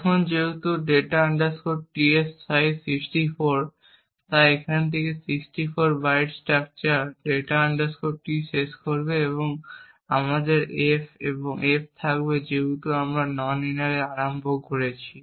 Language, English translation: Bengali, Now since data t has a size of 64, so 64 bytes from here would end the structure data t and then we would have f and f since we have initialized to no winner the value of no winner is present here